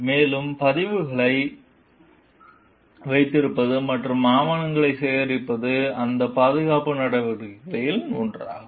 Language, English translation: Tamil, And keeping records and collecting papers is one of those safeguard measures